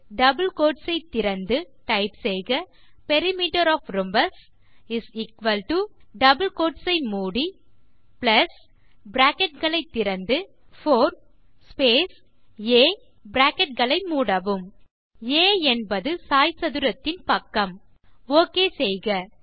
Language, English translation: Tamil, Open the double quotes() type Perimeter of the rhombus =+ close double quotes + open the brackets 4 space a close the brackets a is the side of the rhombus Click Ok